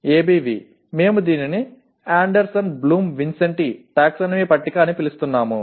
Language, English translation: Telugu, ABV we are calling it Anderson Bloom Vincenti taxonomy table